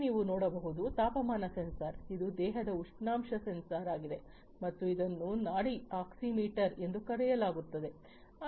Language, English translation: Kannada, Here what you see this is the temperature sensor this is the body temperature sensor that is there and this is something known as the pulse oximeter